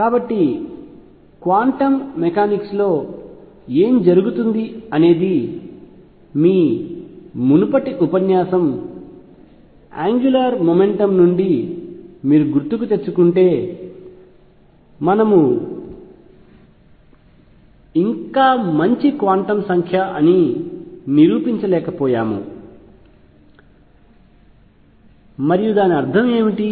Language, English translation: Telugu, So, in quantum mechanics correspondingly recall from your previous lecture angular momentum could we not yet proved could be a good quantum number and what do we mean by that